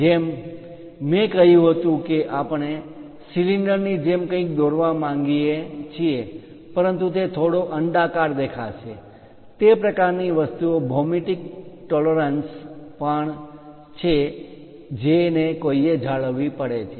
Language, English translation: Gujarati, As I said we would like to draw ah we would like to prepare something like cylinder, but it might look like slightly oval, that kind of things are also geometric tolerances one has to maintain